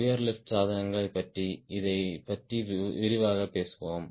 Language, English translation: Tamil, we will talk about highly devices in detail